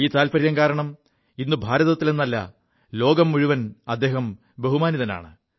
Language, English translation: Malayalam, Today, due to this hobby, he garnered respect not only in India but the entire world